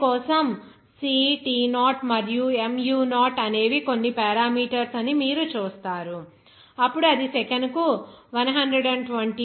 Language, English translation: Telugu, You see that for air, the C, T0, and mu0 are some parameters, then it will be as 120, 291